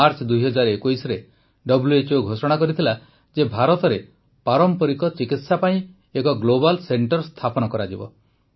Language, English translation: Odia, In March 2021, WHO announced that a Global Centre for Traditional Medicine would be set up in India